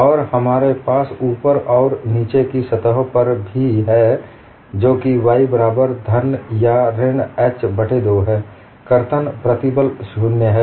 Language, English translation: Hindi, And we also have on the top and bottom surfaces that is y equal to plus or minus h by 2, the shear stress is 0